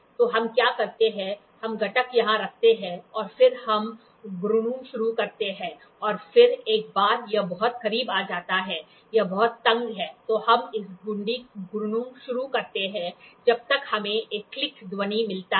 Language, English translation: Hindi, So, what we do is we try to keep the component here and then we start rotating and then once it is very close and it is very tight then we start rotating this knob until we get a click sound